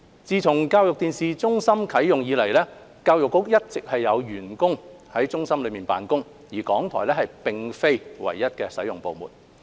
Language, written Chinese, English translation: Cantonese, 自教育電視中心啟用以來，教育局一直有員工在中心內辦公，港台並非唯一的使用部門。, Since the commissioning of ETC Education Bureau staff have all along been working in ETC and RTHK is not the sole user department